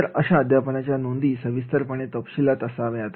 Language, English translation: Marathi, So, this teaching notes are they should have the sufficient detail, right